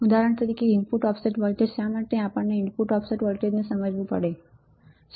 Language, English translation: Gujarati, For example, input offset voltage why we need to understand input offset voltage